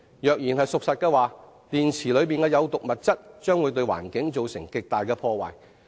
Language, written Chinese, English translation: Cantonese, 假如說法屬實，電池的有毒物質將會對環境造成極大破壞。, If this is the case the toxic substances in such batteries will cause enormous environmental damage